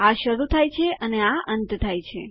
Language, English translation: Gujarati, This starts and this ends